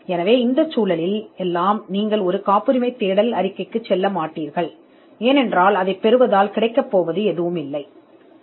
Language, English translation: Tamil, So, in in all these cases you would not go in for a patentability search report, because there is nothing much to be achieved by getting one